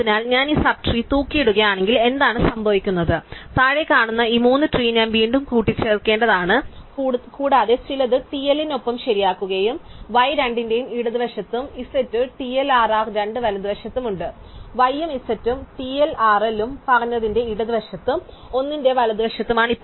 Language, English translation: Malayalam, So, if I hang up these sub trees then what happens is that these 3 trees below have to be a reattached and we reattach some in the correct with TLL is bit to the left of both y and z TLRR is to the right of both y and z and TLRL is to the left of z and to the right of 1